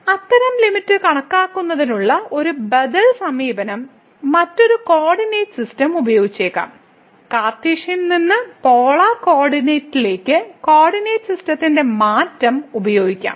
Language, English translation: Malayalam, An alternative approach to compute such limit could be using a different coordinate system and we can use the change of coordinate system from Cartesian to Polar coordinates